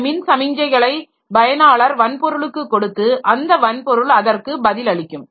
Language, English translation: Tamil, So, this electrical signals the users can give to the hardware and the hardware will respond to that